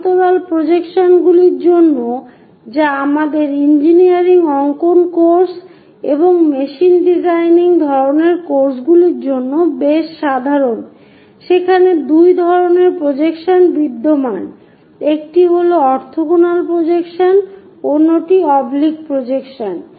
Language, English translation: Bengali, For parallel projections which are quite common for our engineering drawing course and machine designing kind of courses there are two types of projections exists, one is orthogonal projection, other one is oblique projection